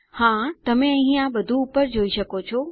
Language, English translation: Gujarati, Yes, you can see it all up here